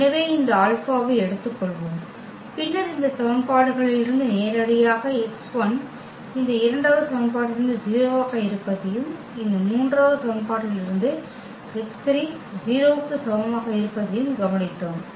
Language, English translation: Tamil, So, let us take this alpha and then directly from these equations we have observe that the x 1 is 0 from this second equation and from this third equation we observe that x 3 is equal to 0